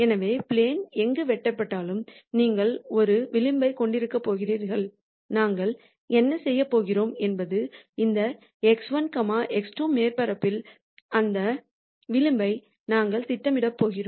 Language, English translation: Tamil, So, on the plane wherever the surface is cut you are going to have a contour and what we are going to do is we are going to project that contour onto this x 1, x 2 surface